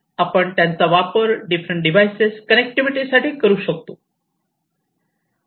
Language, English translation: Marathi, So, we could use them to offer connectivity between these different devices